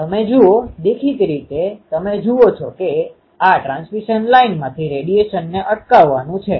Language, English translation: Gujarati, You see; obviously, you see this is a um to prevent the radiation from the transmission line